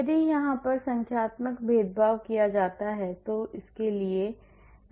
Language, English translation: Hindi, If I do numerical differentiation what do I do